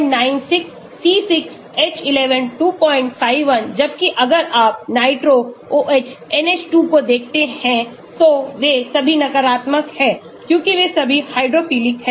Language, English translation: Hindi, 51, whereas if you look at nitro, OH , NH2 they are all negative because they all are hydrophilic